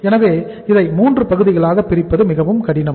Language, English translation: Tamil, So it is very difficult to segregate this into 3 parts